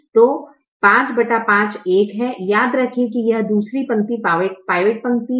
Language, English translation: Hindi, so five divided by five is one remember that this is the second row is the pivot row